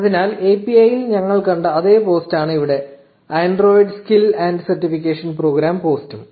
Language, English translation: Malayalam, So, here it is the same post that we saw in the API, the android skill and certification programme post